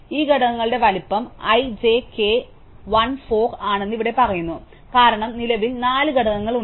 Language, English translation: Malayalam, So, here it is says that size of this components i, j, k, l is 4 because there are currently 4 elements